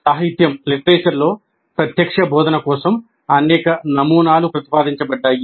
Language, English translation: Telugu, Several models for direct instruction have been proposed in the literature